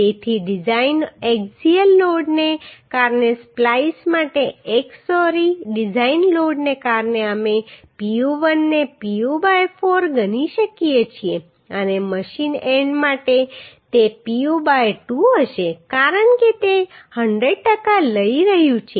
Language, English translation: Gujarati, So the design load due to x sorry design load for splice due to axial load we can consider Pu1 as Pu by 4 and for machine end it will be Pu by 2 because it is 100 per cent it is taking